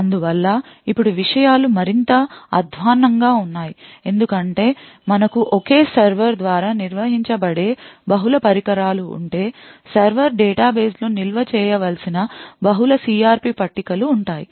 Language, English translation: Telugu, Therefore now things get much more worse because if we have multiple devices which are managed by a single server, there would be multiple such CRP tables that are required to be stored in the server database